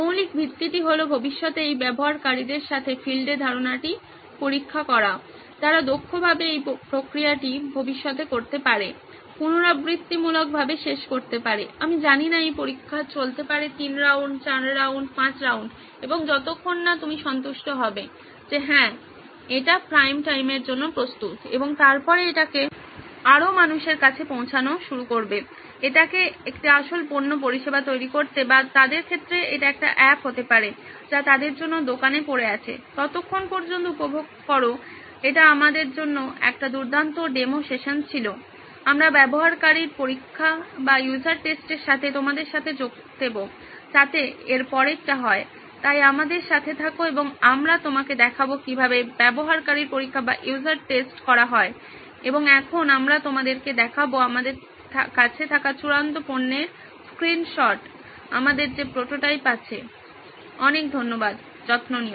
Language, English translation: Bengali, The basic premise is to test out the idea on the field with users who potentially may use this in the future, this is you can end this process is iterative, it goes on I do not know test three rounds, four rounds, five rounds and till your satisfied that yes it is ready for prime time and then start giving it more flesh and blood, make it a real product service or in their case may be an app, that is what is lying in store for them, well till then enjoy, this was a great demo session for us, we will join you with the user tests so that is what is up next for that, so keep tuned and we will show you how the user test go and now we will also be showing you the screenshots of the final product that we have, prototype that we have, thank you so much take care